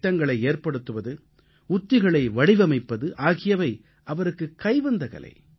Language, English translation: Tamil, Chalking out plans and devising strategies was his core forte'